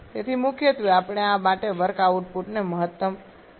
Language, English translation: Gujarati, So, primarily we go for maximizing the work output for this